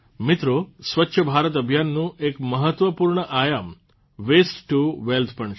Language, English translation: Gujarati, Friends, 'Waste to Wealth' is also an important dimension of the Swachh Bharat Abhiyan